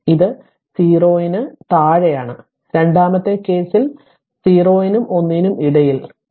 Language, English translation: Malayalam, So, it is 0 for t less than 0 and then in second case between 0 and 1 v t is equal to 4 t